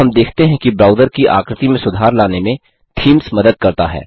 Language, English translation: Hindi, So you see, Themes help to improve the look and feel of the browser